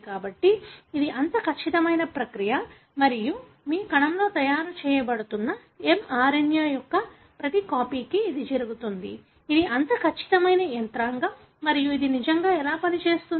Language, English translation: Telugu, So, it is such a precise process and it happens for every copy of the mRNA that is being made in your cell; so, it is such a precise mechanism and how does it really work